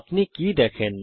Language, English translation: Bengali, What do you see